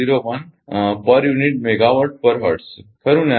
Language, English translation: Gujarati, 01 per unit megawatt per hertz right